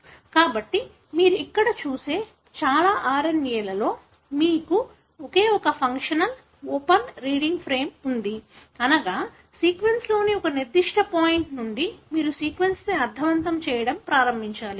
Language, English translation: Telugu, So, in most of the RNA that you see here, you have only one functional open reading frame, meaning you have to start making a sense out of the sequence, from a particular point in the sequence